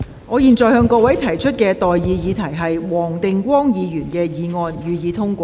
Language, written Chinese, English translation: Cantonese, 我現在向各位提出的待議議題是：黃定光議員動議的議案，予以通過。, I now propose the question to you and that is That the motion moved by Mr WONG Ting - kwong be passed